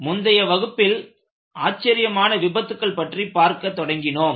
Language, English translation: Tamil, In the last class, we had started looking at spectacular failures